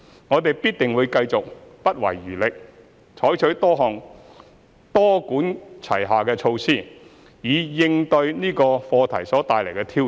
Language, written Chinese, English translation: Cantonese, 我們必定會繼續不遺餘力，採取多管齊下的措施以應對這個課題所帶來的挑戰。, We will certainly continue to spare no efforts and adopt multi - pronged measures to cope with the challenges arising from this issue